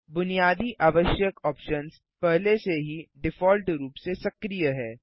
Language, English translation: Hindi, The basic required options are already activated by default